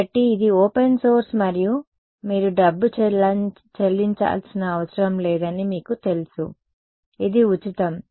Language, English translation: Telugu, So, it is open source and you know you do not have to pay money for, it is free right